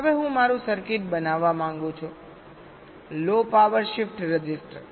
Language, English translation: Gujarati, now i want to make my circuit, the shift register, low power